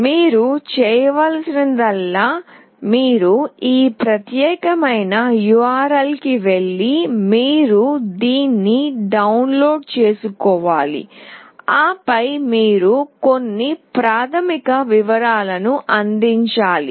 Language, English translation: Telugu, All you need to do is that you need to go this particular URL, you need to download this, and then you have to provide some basic details